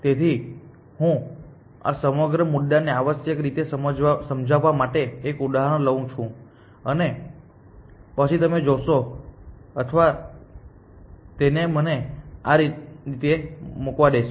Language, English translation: Gujarati, So, let me, let me take an example to illustrate this whole point essentially, and then you will see or let it let me put it this way